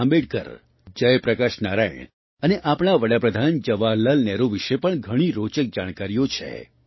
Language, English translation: Gujarati, Ambedkar, Jai Prakash Narayan and our Prime Minister Pandit Jawaharlal Nehru